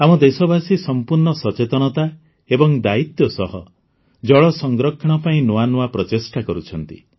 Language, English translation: Odia, Our countrymen are making novel efforts for 'water conservation' with full awareness and responsibility